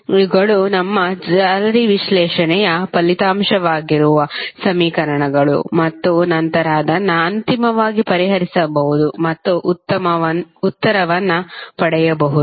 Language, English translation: Kannada, These are the equations which are the outcome of our mesh analysis and then we can finally solve it and get the answer